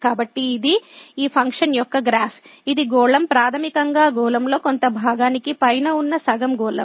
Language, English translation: Telugu, So, this is the graph of this function which is the sphere basically the half sphere above part of the sphere